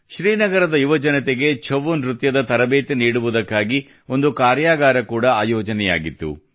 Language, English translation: Kannada, A workshop was also organized to impart training in 'Chhau' dance to the youth of Srinagar